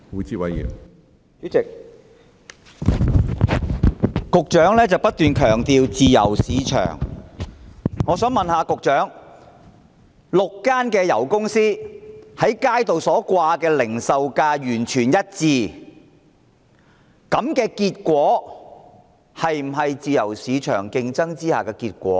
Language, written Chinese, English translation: Cantonese, 主席，局長不斷強調自由市場，我想問局長 ，6 間油公司在油站所展示的零售價完全一致，這樣是否自由市場競爭下的結果？, President the Secretary has been stressing the importance of a free market . May I ask the Secretary whether the standardized petrol pump prices indicated at the six oil companies are brought by competition among them in a free market?